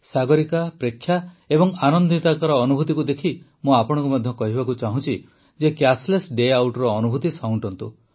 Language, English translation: Odia, Looking at the experiences of Sagarika, Preksha and Anandita, I would also urge you to try the experiment of Cashless Day Out, definitely do it